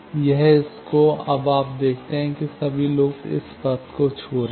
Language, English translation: Hindi, This, to this; now, you see all the loops are touching this path